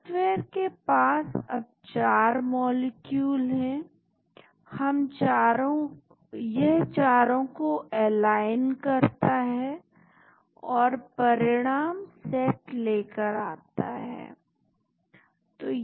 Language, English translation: Hindi, The software now 4 molecules, it aligns all the 4 and comes up with set of results